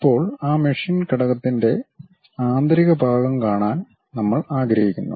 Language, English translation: Malayalam, Now, we would like to see the internal portion of that machine element